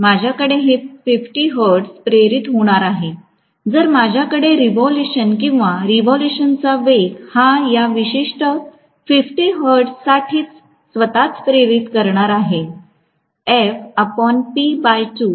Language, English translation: Marathi, I am going to have actually 50 hertz will be induced, if I am going to have revolution or revolution speed corresponding to this particular 50 hertz itself